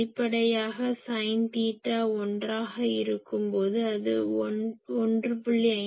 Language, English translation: Tamil, Obviously, when sin theta is 1